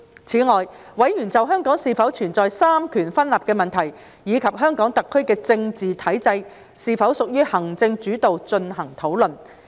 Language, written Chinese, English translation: Cantonese, 此外，委員就香港是否存在三權分立的問題，以及香港特區的政治體制是否屬於行政主導進行討論。, Moreover Members have discussed issues on whether there is a separation of powers in Hong Kong and whether the political structure of SAR is executive - led